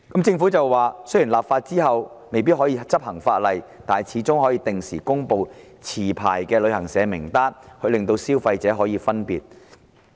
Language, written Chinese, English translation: Cantonese, 政府指出，立法後雖未必可以執行，但始終可以定時公布持牌旅行社名單，令消費者得以分辨。, According to the Government although the legislation may not be enforced after its enactment the list of licensed travel agents can still be updated on a regular basis for consumers reference